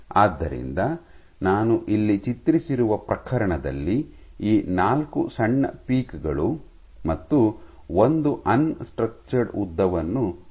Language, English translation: Kannada, So, for the case I have drawn here, in this case I have shown 4 peaks small peaks and one unstructured length right